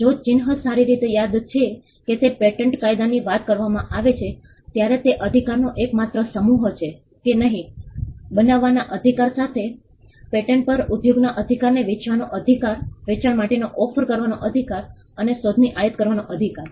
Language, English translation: Gujarati, If the mark is well know if it is a reputed mark the exclusive set of rights when it comes to patent law, on a patent pertain to the right to make, the right to sell the right to use, the right to offer for sale and the right to import an invention